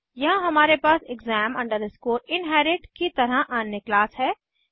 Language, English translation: Hindi, Here we have another class as exam inherit